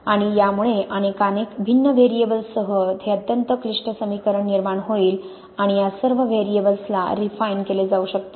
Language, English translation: Marathi, And this would lead to this very complicated equation with many, many different variables and these, all these variables can be refined